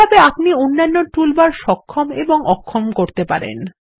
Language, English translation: Bengali, Similarly, you can enable and disable the other toolbars, too